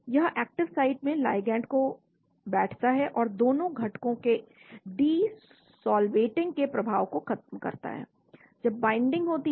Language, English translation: Hindi, This positions the ligand in the active site and also counteracts the effect of de solvating the 2 components when binding occurs